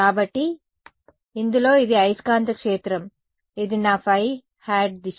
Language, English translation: Telugu, So, in this it is the magnetic field this is my phi hat direction right